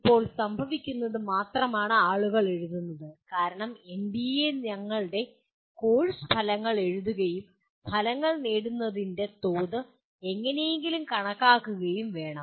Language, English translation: Malayalam, Right now what is happening is only people are writing as because NBA requires that your writing your course outcomes and somehow computing the level of attainment of outcomes